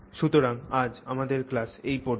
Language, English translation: Bengali, So that's our class for today